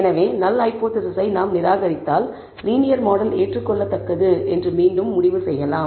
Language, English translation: Tamil, So, if we reject the null hypothesis, there again we may conclude that the linear model is acceptable